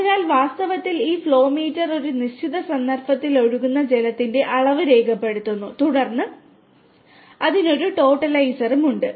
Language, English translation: Malayalam, So, actually this flow meter essentially records the quantity of water flowing at a given instance and then, it has a totalizer also